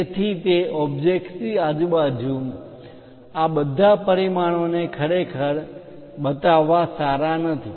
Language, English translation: Gujarati, So, it is not a good idea to really show all these dimensions around that object